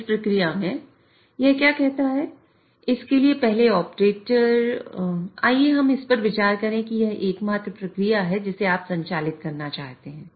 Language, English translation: Hindi, So, in this process, what it says is first the operator in order to let us consider this is the only process which you want to operate